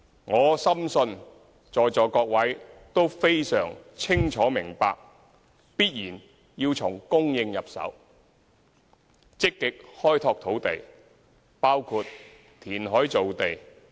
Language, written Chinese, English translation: Cantonese, 我深信在座各位都非常清楚明白，長遠的房屋政策必然要從供應入手，積極開拓土地，包括填海造地。, I am very confident that Members present will clearly understand that a long - term housing policy must be hinged on land supply and we must proactively develop land by reclamation among others